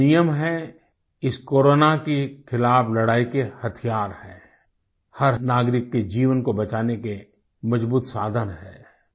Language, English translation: Hindi, These few rules are the weapons in our fight against Corona, a powerful resource to save the life of every citizen